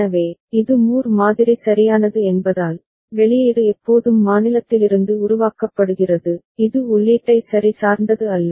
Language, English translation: Tamil, So, since it is Moore model right, output is always generated from the state, it does not depend on the input ok